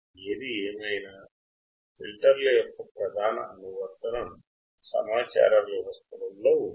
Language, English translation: Telugu, Anyways, the main application of filters is in communication systems